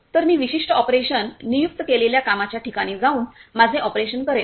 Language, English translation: Marathi, So, I will be going to the particular operation designated work place and a perform my operation